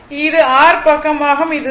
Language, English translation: Tamil, This is your i side this is 0